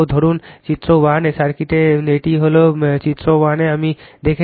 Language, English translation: Bengali, Suppose in the circuit of figure 1 that is this is figure 1 I show you